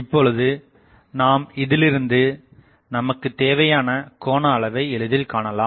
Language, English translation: Tamil, So, now, you can easily find out that what is the angle that I need